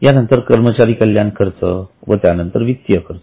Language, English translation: Marathi, Then, employee benefits, then financial cost